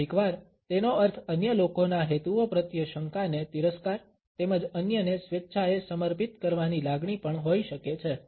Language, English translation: Gujarati, Sometimes, it may also mean contempt a suspicions towards the motives of the other people as well as a feeling of willingly submitting to others